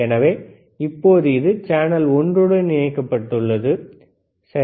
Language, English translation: Tamil, So, right now, it is connected to channel one, right